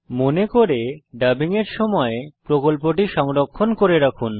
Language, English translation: Bengali, Remember to save the project often during the dubbing